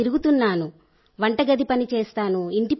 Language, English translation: Telugu, I do kitchen work